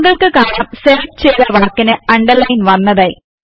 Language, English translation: Malayalam, You see that the selected text is now underlined